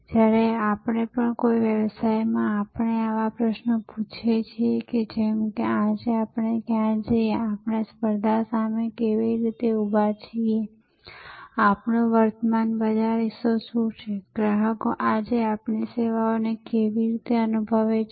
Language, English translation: Gujarati, Now, whenever in a business we ask such questions, like where are we today, how do we stack up against the competition, what is our current market share, how do customers perceive our services today